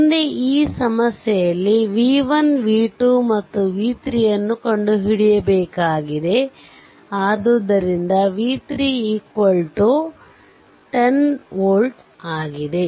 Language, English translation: Kannada, So, for this problem that you have to find out v 1 v 2 and v 3 of this right so, this is v 1 this is v 2 and this is v 3 right